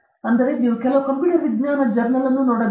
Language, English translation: Kannada, So, you have to look at some computer science journal